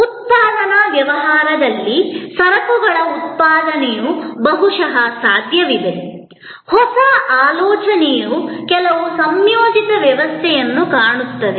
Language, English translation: Kannada, In a manufacturing business, goods manufacturing it is perhaps possible, even though there also, the new thinking look certain integrated system